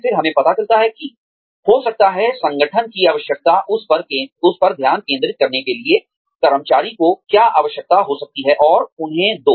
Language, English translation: Hindi, Then, we realize that, maybe, there is a need for the organization, to start focusing on, what the employee might need